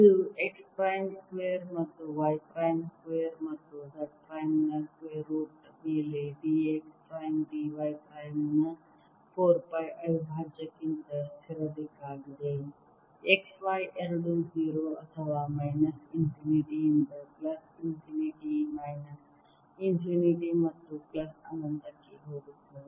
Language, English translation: Kannada, integral of d x prime, d y prime over square root of x prime square plus y prime square plus z square, both x and y, going from zero or minus infinity to plus infinity, minus infinity to plus infinity